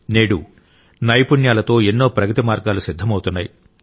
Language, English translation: Telugu, Skills are forging multiple paths of progress